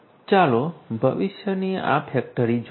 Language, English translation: Gujarati, Let us look at this factory of the future